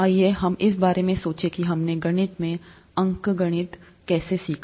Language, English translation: Hindi, Let us think about how we learnt arithmetic, in mathematics